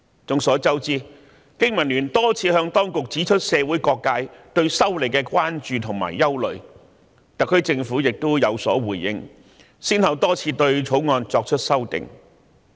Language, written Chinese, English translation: Cantonese, 眾所周知，香港經濟民生聯盟曾多次向當局指出社會各界對修例的關注和憂慮，而特區政府亦有所回應，先後對《條例草案》作出修訂。, As we all know the Business and Professionals Alliance for Hong Kong BPA has pointed out to the authorities many times the concerns and worries of various sectors of society about the legislative amendment . The SAR Government has also given responses and more than once agreed to making changes to the Bill